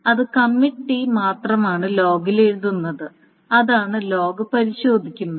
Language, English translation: Malayalam, It's only being the committee is only being written to the log that the log is being checked